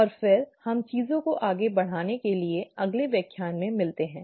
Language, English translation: Hindi, And then, let us meet in the next lecture to take things forward